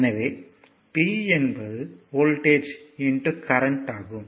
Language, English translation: Tamil, So, power is equal to voltage into current right